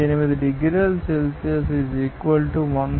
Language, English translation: Telugu, 8 degrees Celsius = 100